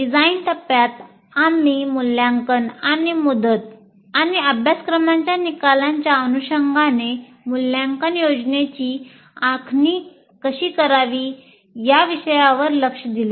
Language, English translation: Marathi, And then in design phase, we address the issue of assessment and how to plan assessment in alignment with that of competencies and course outcomes